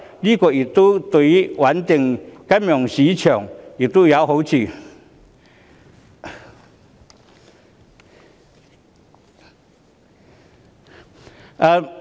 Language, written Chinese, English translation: Cantonese, 這對於穩定金融市場有好處。, This is conducive to stabilizing the financial market